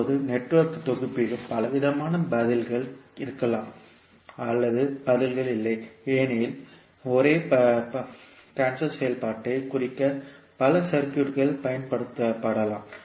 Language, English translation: Tamil, Now in Network Synthesis there may be many different answers to or possibly no answers because there may be many circuits that may be used to represent the same transfer function